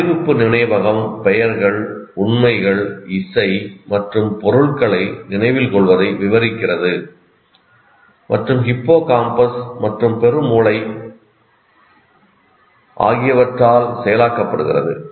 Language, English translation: Tamil, Declarative memory describes the remembering of names, facts, music, and objects, and is processed by hippocampus and cerebrum